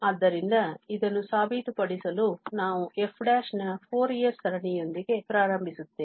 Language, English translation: Kannada, So, we will write the Fourier series of f as the standard Fourier series